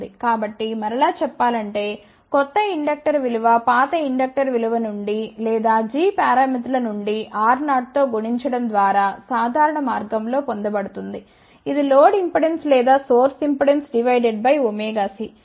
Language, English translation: Telugu, So, the value of the new inductor will be obtained from the older inductor value or from the g parameters in a simple way by multiplying it with R 0, which is the load impedance or source impedance divided by omega c